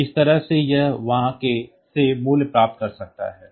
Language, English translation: Hindi, So, that way so, it can it can get the value from there